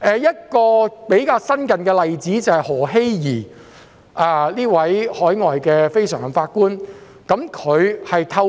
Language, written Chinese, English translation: Cantonese, 一個較新的例子是前海外非常任法官何熙怡。, A more recent example is former overseas NPJ Brenda Marjorie HALE